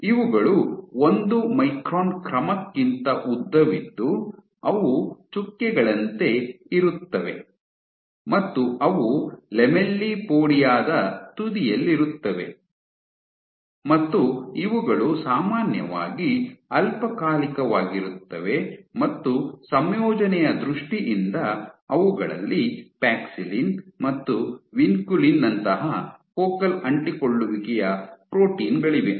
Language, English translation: Kannada, These are more dot like order 1 micron in length they are present at the edge of the lamellipodia, and these are typically short lived in terms of composition they have focal adhesion proteins like Paxillin and Vinculin present in them